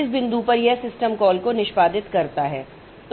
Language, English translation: Hindi, At this point it executes the system call